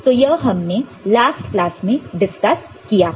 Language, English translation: Hindi, This we discussed in the last class